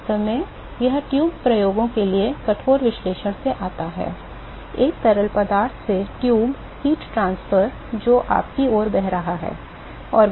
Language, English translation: Hindi, In fact, that comes from a rigorous analysis of the tube experiments, tube heat transfer from a fluid which is flowing towards you and